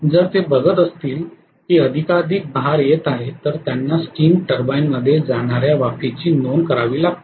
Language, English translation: Marathi, If they see that more and more loads are coming up they have to notch up the steam that is going into the steam turbine